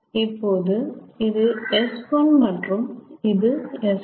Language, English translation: Tamil, so this is s one, this is s two